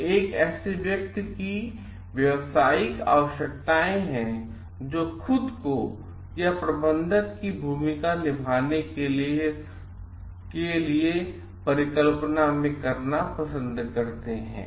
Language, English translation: Hindi, So, these are the professional requirements of a person who like visualizes himself or herself to be playing the role of a manager